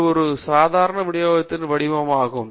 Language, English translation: Tamil, This is the shape of the normal distribution